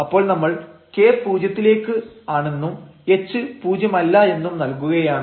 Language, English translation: Malayalam, So, you are letting at k to 0 and the h non zero